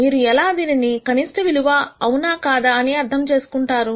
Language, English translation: Telugu, How do you understand if it is a minimum value or not